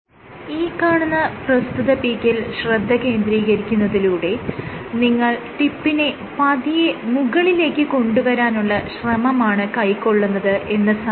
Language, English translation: Malayalam, So, if you focus on one particular peak, what you are doing is you are trying to bring the tip up, up, up